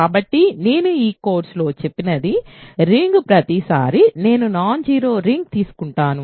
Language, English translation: Telugu, So, every time I say a ring in this course I am in a non zero ring